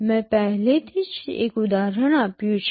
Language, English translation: Gujarati, I already gave an example